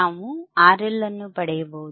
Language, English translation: Kannada, I can find the value of R L